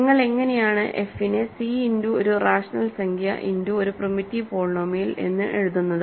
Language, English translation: Malayalam, So, how do you write f as c times a, rational number times a primitive polynomial